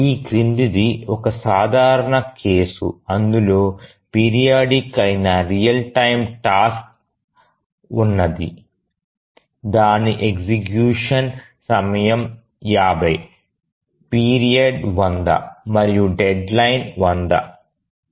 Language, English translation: Telugu, Let's consider there is a very simple case where there is only one real time task which is periodic, the period is 50, sorry, the execution time is 50, the period is 100 and the deadline is 100